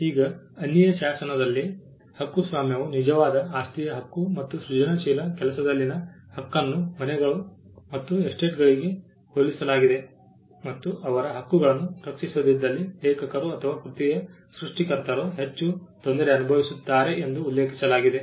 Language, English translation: Kannada, Now, in the statute of Anne it was argued that copyright was a true property right and the right in a creative work was compared to houses and estates and it was also mentioned that the authors or creators of the work would stand to suffer the most if their rights were not protected